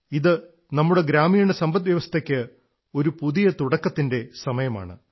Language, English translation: Malayalam, It is also the time of a new beginning for our rural economy